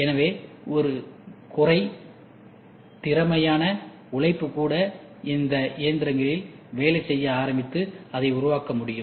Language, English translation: Tamil, So, well even a semi skilled labor can start working on these machines and developing it